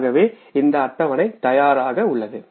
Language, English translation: Tamil, So this schedule is ready